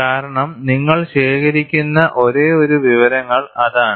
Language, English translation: Malayalam, Because that is the only information you are collecting it